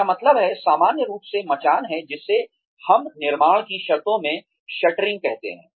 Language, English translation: Hindi, I mean, in general parlance, scaffolding is, what we call in construction terms are, shuttering